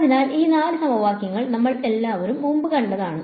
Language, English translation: Malayalam, So, these four equations, we have all seen before